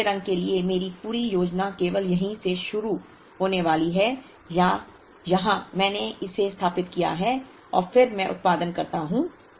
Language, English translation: Hindi, If my entire planning for yellow is going to start only here or here I set it up and then I produce